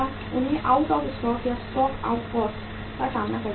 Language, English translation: Hindi, They will be facing the cost of out of stock or stock out cost